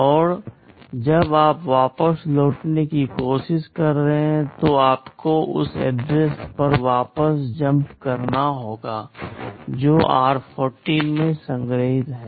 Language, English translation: Hindi, And when you are trying to return back, you will have to jump back to the address that is stored in r14